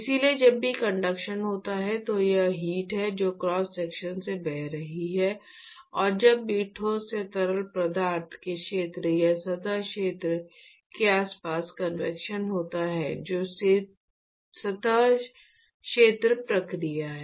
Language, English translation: Hindi, So, whenever there is conduction it is the heat that is flowing across the cross section, and whenever there is convection from the solid to the fluid around its the area or the surface area which is the surface area process